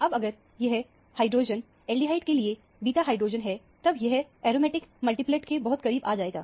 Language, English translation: Hindi, Now, if this hydrogen is a beta hydrogen to the aldehyde, that would come very close to the aromatic multiplet